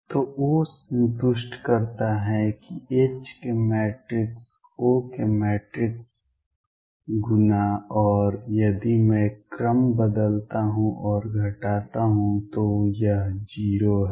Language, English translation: Hindi, So, O satisfies that matrix of O time’s matrix of H and if I change the order and subtract it is 0